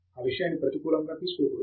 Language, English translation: Telugu, That should not be taken in a negative stride